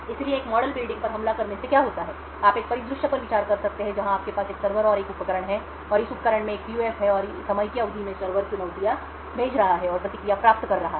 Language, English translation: Hindi, So within a model building attacks what happens is that you could consider a scenario where you have a server and a device, and this device has a PUF and the server over a period of time is sending challenges and obtaining response